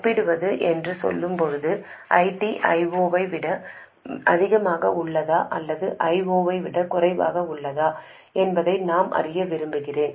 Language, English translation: Tamil, When we say compare, essentially I want to know whether ID is more than I 0 or less than I 0